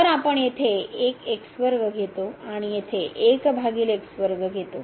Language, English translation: Marathi, So, we take 1 square there and divided by 1 square here